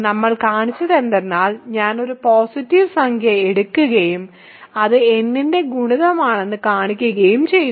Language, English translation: Malayalam, So, what we have shown is that, we have taken an arbitrary positive integer in I and showed that it is a multiple of n ok